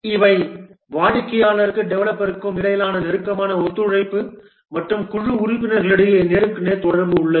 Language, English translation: Tamil, There is a close cooperation between the customer and developer and among the team member there is face to face communication